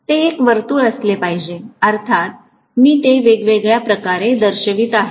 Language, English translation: Marathi, It should be a circle; of course I am showing it in different way